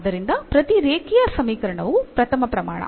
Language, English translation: Kannada, So, every linear equation is a first degree that is clear